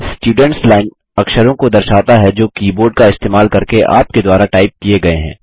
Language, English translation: Hindi, The Students Line displays the characters that are typed by you using the keyboard